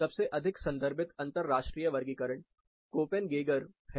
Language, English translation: Hindi, Most commonly referred international classification is the Koppen Geiger